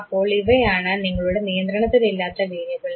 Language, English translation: Malayalam, So, these are the variables which you do not control over